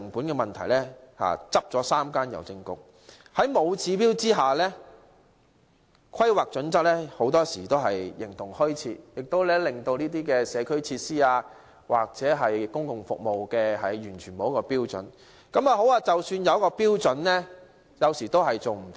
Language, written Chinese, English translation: Cantonese, 在沒有指標的情況下，《規劃標準》很多時候形同虛設，這些社區設施或公共服務完全沒有標準，即使有標準，當局有時也無法遵照標準。, In the absence of indicators HKPSG often exist in name only . There are no standards for these community facilities or public services; even if there are standards the authorities sometimes fail to comply